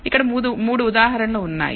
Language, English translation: Telugu, Here are 3 examples